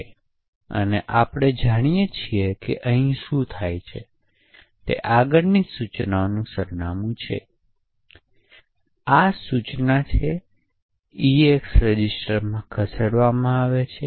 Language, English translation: Gujarati, So, as we know what happens over here is the address of the next instruction that is this instruction gets moved into the EAX register